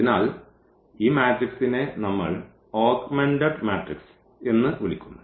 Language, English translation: Malayalam, So, this matrix we call as the augmented matrix